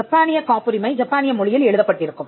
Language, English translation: Tamil, Now a Japanese patent will be written in Japanese language